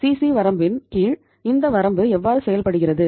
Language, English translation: Tamil, Under the CC limit how this limit works